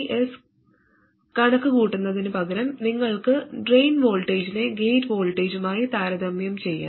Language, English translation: Malayalam, So instead of even computing VDS you can just compare the drain voltage with the gate voltage